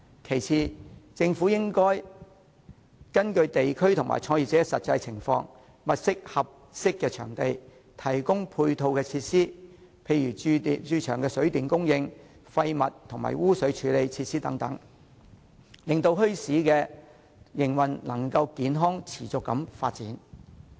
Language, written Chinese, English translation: Cantonese, 其次，政府應根據地區和創業者的實際情況，物色合適場地，提供配套設施，例如駐場的水電供應、廢物及污水處理設施等，令墟市的營運能夠健康持續地發展。, Second the Government should identify suitable locations for setting up bazaars; and provide the sites with ancillary facilities such as water and electricity supplies waste disposal and sewage treatment facilities according to the actual circumstances of the districts and the business - starters so as to promote the healthy and sustainable development of bazaars